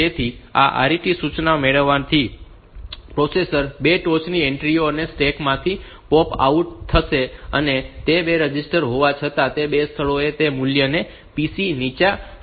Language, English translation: Gujarati, So, getting this RET instruction the processor will POP out from the stack the 2 topmost entries, and it will put those values into the PC low and PC high those 2 locations though those 2 registers